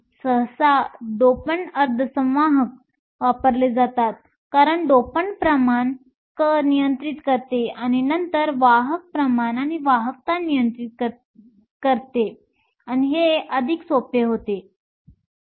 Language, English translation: Marathi, Usually doped semiconductors are used, because it is much more easier to control the dopant concentration and then control the carrier concentration and also the conductivity